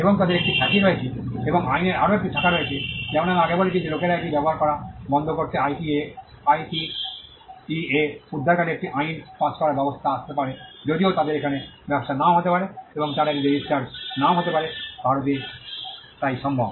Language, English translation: Bengali, And they have a reputation and there is another branch of law, as I mentioned earlier a law of passing of can come to IKEA rescue to stop people from using it though, they may not have business here, and they may not have registered it in India so, it is possible